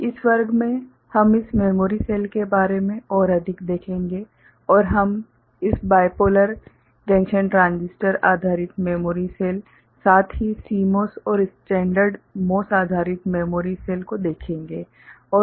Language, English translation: Hindi, In this class we shall look more into this memory cells and we shall look into this BJT Bipolar Junction Transistor based memory cell, as well as CMOS and standard MOS based memory cell ok